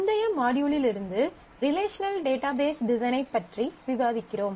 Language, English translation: Tamil, From the last module, we are discussing Relational Database Design